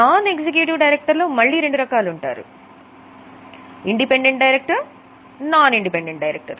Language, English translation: Telugu, Now within non executive directors also there are two types independent and non independent directors